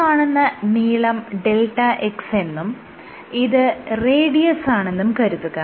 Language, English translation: Malayalam, Let assume that this length is delta x and this radius